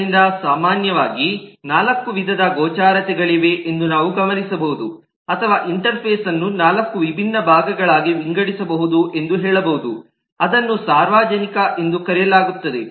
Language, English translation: Kannada, so we may note that there are typically four types of visibility, or we can say that the interface can be classified, divided in to four different parts, one that is called public